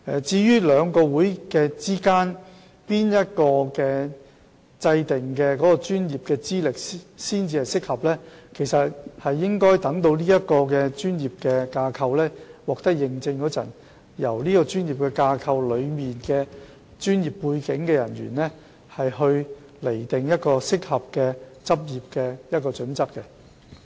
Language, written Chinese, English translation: Cantonese, 至於在兩個學會中，哪一個所訂的專業資歷才算適合，則應留待有關的專業架構獲得認證，然後交由當中具專業背景的會員釐定專業的執業準則。, On the question of which professional qualification standard of the two societies will be considered appropriate we may have to wait until the relevant professional body is recognized as accredited body and members of that body with professional background can decide on the practicing requirements